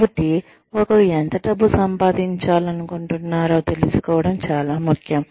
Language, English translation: Telugu, So, it is very important to know, how much money, one wants to make